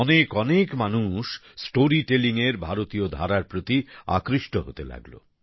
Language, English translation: Bengali, People started getting attracted towards the Indian storytelling genre, more and more